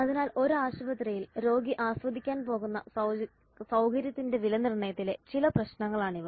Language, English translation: Malayalam, So these are some of the issues in the pricing of the facility that the patient is going to enjoy in a hospital